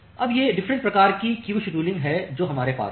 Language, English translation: Hindi, Now, that these are the different type of queue scheduling which we have